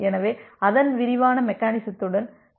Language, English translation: Tamil, So, let us proceed with the detailed mechanism of that one